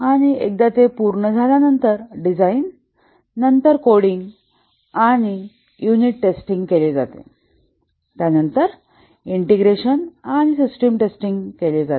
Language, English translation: Marathi, And once that is complete, the design is undertaken, then the coding and unit testing is undertaken